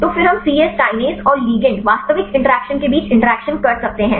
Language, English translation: Hindi, So, then we can take the interaction between the C Yes kinase and the ligand actual interactions